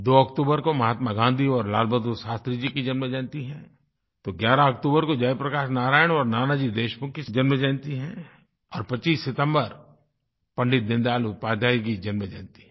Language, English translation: Hindi, 2nd October is the birth anniversary of Mahatma Gandhi and Lal Bahadur Shastri, 11th October is the birth anniversary of Jai Prakash Narain and Nanaji Deshmukh and Pandit Deen Dayal Upadhyay's birth anniversary falls on 25th September